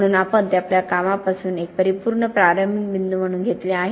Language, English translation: Marathi, So we have taken that as an absolute starting point from our work